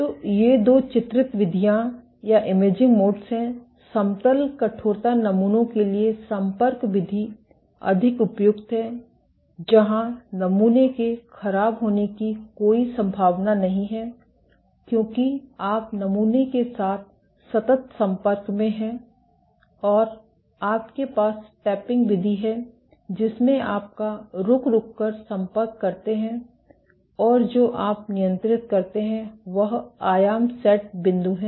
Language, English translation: Hindi, So, these are two imaging modes; contact mode being more suitable for flat rigid samples where there is no chance of damage to the sample because you are in perpetual contact with the sample and you have the tapping mode in which your intermittent contact and what you control is the amplitude set point